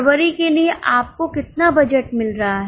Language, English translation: Hindi, How much budget you are getting for February